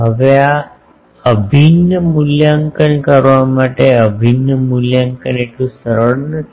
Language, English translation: Gujarati, Now, to evaluate this integral this integral evaluation is not so easy